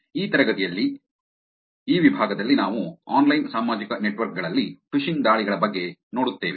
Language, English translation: Kannada, In this class, in this section what will see is, we will see about Phishing Attacks in online social networks